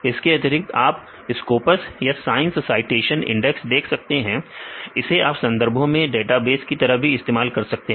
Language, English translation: Hindi, In addition you can see the scopus or the science citation index right about science that also you can use as literature databases